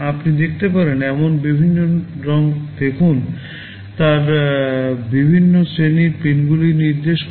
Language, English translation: Bengali, See the various colors you can see, they indicate different categories of pins